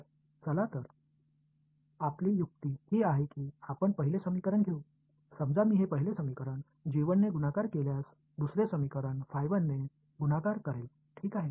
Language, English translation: Marathi, So, so, well the trick that we will do is, we will take the first equation; supposing I take this first equation multiplied by g 1, take the second equation multiplied by phi 1 ok